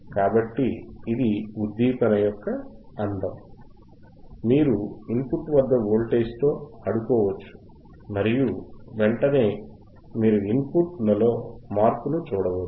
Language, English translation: Telugu, So, that is the beauty of stimulation, that you can play with the voltage othe at rthe input and immediately you can see the changinge in the output